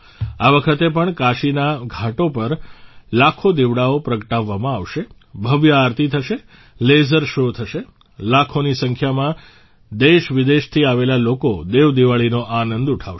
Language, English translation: Gujarati, This time too, lakhs of lamps will be lit on the Ghats of Kashi; there will be a grand Aarti; there will be a laser show… lakhs of people from India and abroad will enjoy 'DevDeepawali'